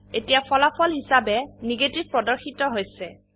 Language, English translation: Assamese, The result which is displayed now is Negative